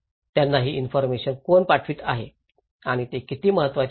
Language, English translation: Marathi, Who is sending these informations to them and how important it is